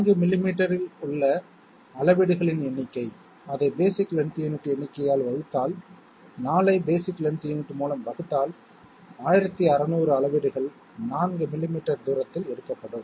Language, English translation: Tamil, Number of readings in 4 millimeters; simply divide it by number of basic length unit, so 4 divided by basic length unit is 1600 readings will be taken in a distance of 4 millimeters